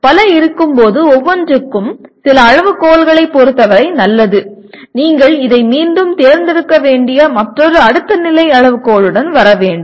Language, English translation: Tamil, When there are multiple, each one is good with respect to some criteria, you have to again come with another next level criterion from which you have to select this